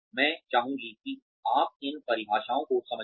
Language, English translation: Hindi, I would just like you to understand these definitions